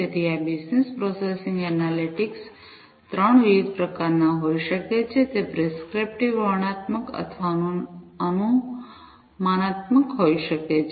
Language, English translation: Gujarati, So, this business processing analytics could be of 3 different types, it could be prescriptive, descriptive or predictive